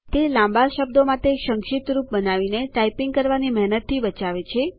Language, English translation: Gujarati, It saves typing effort by creating shortcuts to long words